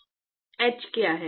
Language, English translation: Hindi, What is h